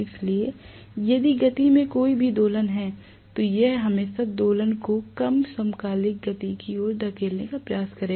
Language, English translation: Hindi, So if there is any oscillation in the speed, it will always try to damp out the oscillation and push it towards synchronous speed